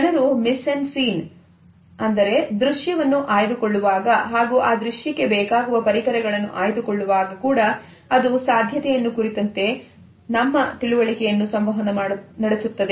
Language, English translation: Kannada, The way people choose the mis en scene and different properties related with it, also communicates our cultural understanding of proximity